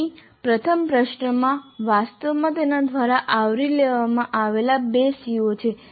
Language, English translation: Gujarati, So here if you see the first question actually has two COs covered by that